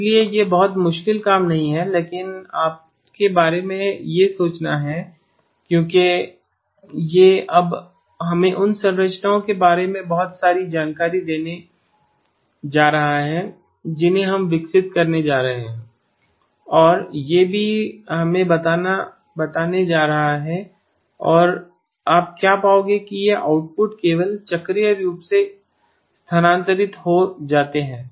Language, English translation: Hindi, So it is not a very difficult task but something for you to think about because this is now going to give us a lot of insight into the structures that we are going to be developing and this is also going to tell us and what you will find is that these outputs just get cyclically shifted that is all